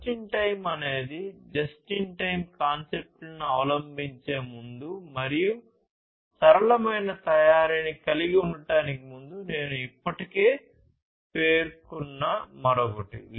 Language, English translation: Telugu, And just in time is the another one that, I have already mentioned before adopting just in time concepts, and having flexible manufacturing